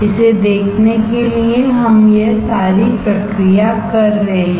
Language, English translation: Hindi, To see this we are doing all this exercise